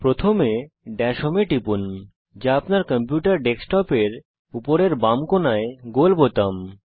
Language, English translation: Bengali, First, click Dash Home, which is the round button, on the top left corner of your computer desktop